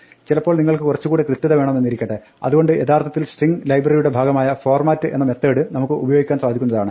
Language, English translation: Malayalam, Now, sometimes you want to be a little bit more precise, so for this we can use the format method which is actually part of the string library